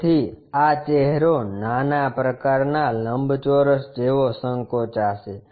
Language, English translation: Gujarati, So, this face shrunk to the small kind of rectangle